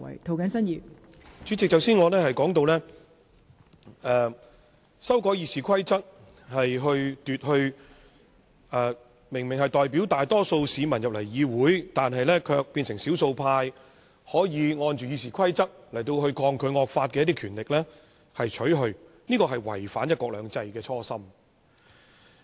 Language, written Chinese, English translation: Cantonese, 代理主席，我剛才說到，修改《議事規則》會把明明代表大多數市民進入議會、卻變成少數派的議員根據《議事規則》抗拒惡法的權力剝奪，而這是違反"一國兩制"的初心。, Deputy President I was saying that the amendment of RoP contravenes the original intention of one country two systems in that they take away the power of minority Members who actually represent the majority public to resist draconian laws under RoP